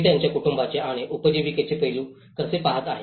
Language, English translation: Marathi, How they were looking after their family and the livelihood aspect